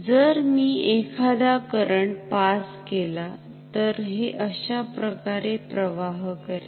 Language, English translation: Marathi, So, if I pass any current, it will flow like this ok